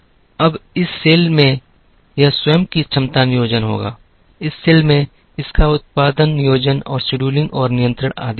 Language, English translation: Hindi, Now, this cell will have it is own capacity planning, this cell will have it is own production planning and scheduling and control and so on